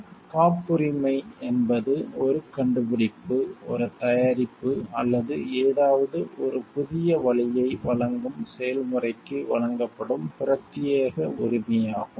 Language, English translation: Tamil, So, a patent is an exclusive right granted for an invention, a product or a process that provides a new way of doing something